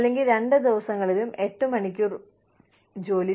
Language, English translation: Malayalam, Or, 8 hours of work on both days